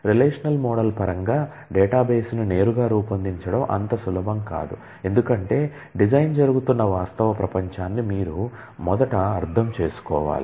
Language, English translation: Telugu, But it is not easy to directly design a database in terms of the relational model, because you first need to understand the real world in which the design is happening